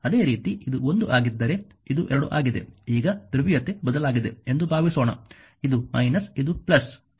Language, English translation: Kannada, Similarly if it is this is 1 this is 2 now polarity has changed suppose this is minus this is plus